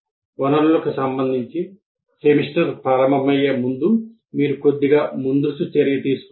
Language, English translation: Telugu, So you have to take a little advance action before the semester starts with regard to the resources